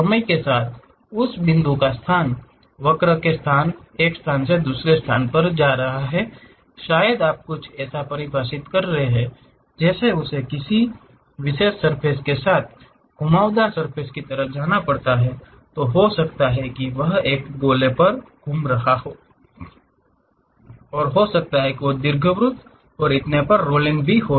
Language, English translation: Hindi, With the time the location of that point moving from one location to another location along the curve or perhaps you are defining something like it has to go along particular surface like a curved surface, maybe it might be rolling on a sphere, it might be rolling on an ellipsoid and so on